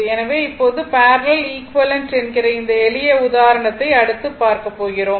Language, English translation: Tamil, So, this is series, what we want is parallel equivalent right